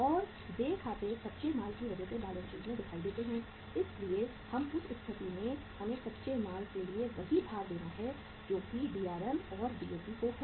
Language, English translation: Hindi, And uh accounts payable appear in the balance sheet because of the raw material so in that case uh we have to give the same weight to the raw material stage that is Drm and to the Dap